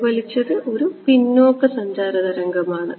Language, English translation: Malayalam, Reflected is a backward traveling wave ok